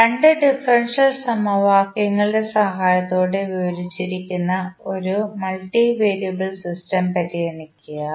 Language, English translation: Malayalam, Consider a multivariable system which is described with the help of these two differential equations